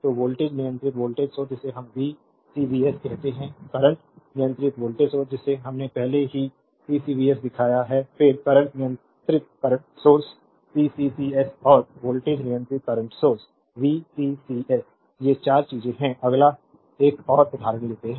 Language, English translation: Hindi, So, voltage controlled voltage source we call VCVS, current controlled voltage source already we have shown CCVS, then current controlled current source CCCS and voltage controlled current sources VCCS right these are the 4 thing, next you take another example